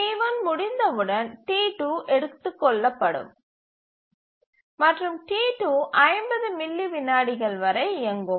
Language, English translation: Tamil, And each time T3 occurs, it will execute for 30 milliseconds